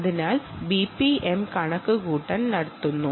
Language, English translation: Malayalam, so the b p m calculation is done here